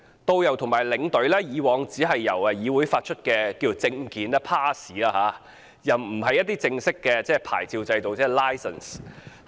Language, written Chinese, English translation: Cantonese, 導遊和領隊以往只由旅議會發出證件，而不是正式的牌照。, Tourist guides and tour escorts are only issued passes rather than any official licences by TIC